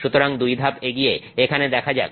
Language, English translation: Bengali, So, let's look at some two steps ahead here